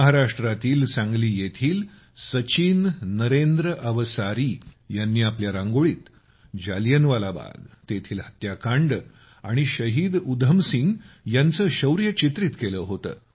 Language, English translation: Marathi, Sachin Narendra Avsari ji of Sangli Maharashtra, in his Rangoli, has depicted Jallianwala Bagh, the massacre and the bravery of Shaheed Udham Singh